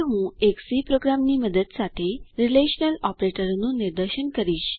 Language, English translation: Gujarati, Now I will demonstrate the relational operators with the help of a C program